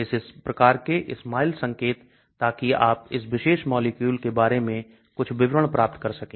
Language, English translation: Hindi, So this type of SMILES notations so you can get some details about this particular molecule